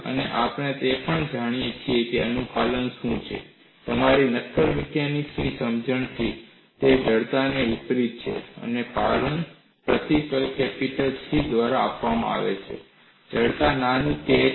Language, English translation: Gujarati, And we also know what is compliance, from your solid mechanics understanding; it is the inverse of stiffness, and compliance is given by the symbol capital C, and the stiffness is small k